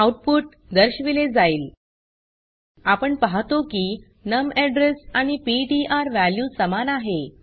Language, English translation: Marathi, Press Enter The output is displayed We see that the num address and ptr value is same